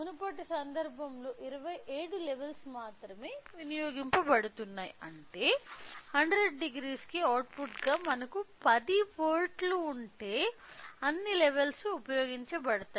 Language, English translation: Telugu, So, that now in previous case only 27 levels were utilising whereas, if we have 10 volts as an output for a 100 degree all the levels will be utilised